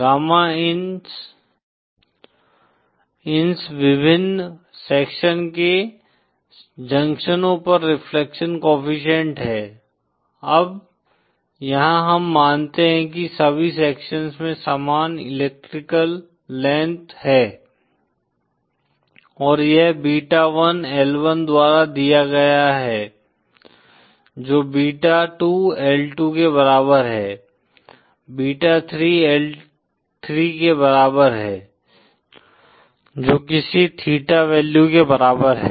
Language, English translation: Hindi, Gamma ins are the reflections coefficients at the junctions of the various sections, now here we assume that all the sections have identical electrical lengths & this is given by beta1L1 is equal to beta2L2 is equal to beta 3L3 equal to some value say theta